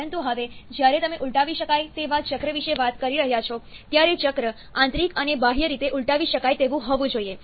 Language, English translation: Gujarati, But now when you are talking about a reversible cycle, the cycle has to be both internally and externally reversible